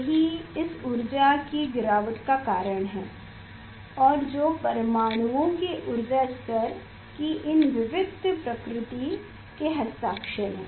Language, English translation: Hindi, that is the reason of this energy drop and which is the signature of these discreteness of the energy levels of the atoms